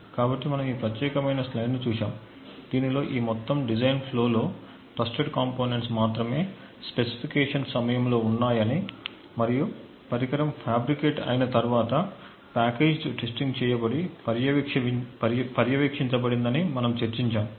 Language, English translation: Telugu, So we in fact had looked at this particular slide wherein we actually discussed that the only trusted components in this entire design flow is at the time of specification and after the device is fabricated and there is a packaged testing that is done and monitoring